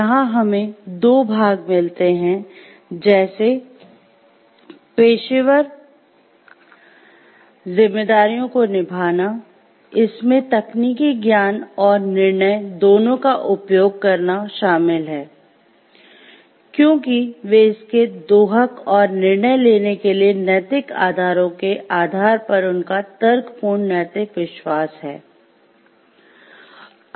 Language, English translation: Hindi, So, where we find two parts; like it is pursuing professional responsibilities, involves exercising both technical judgment, because they are the exporter it, and their reasoned moral conviction based on the ethical pillars of decision making